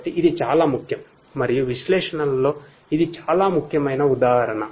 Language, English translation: Telugu, So, this is very important and this is just an example where analytics is very important